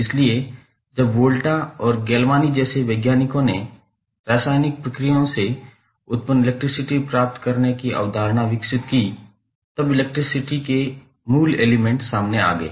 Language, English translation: Hindi, So, basically when the the scientists like Volta and Galvani developed the concept of getting electricity generated from the chemical processes; the fundamentals of electricity came into the picture